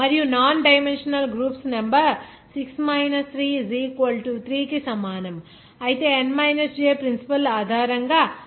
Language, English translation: Telugu, And the number of non dimensional groups will be that made based on the principle of n j that will be is equal to3 that 6 3 is equal to 3